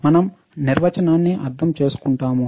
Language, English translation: Telugu, We will just understand the definition